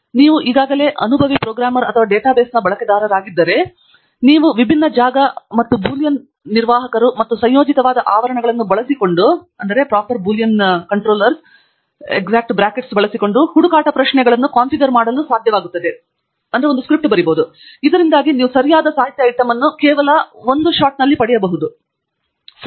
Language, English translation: Kannada, And if you are already an experienced programmer or user of data bases, then you will be able to configure search queries using different fields, and Boolean operators, and parentheses that will combine, so that you can perhaps get the right literature item within just one query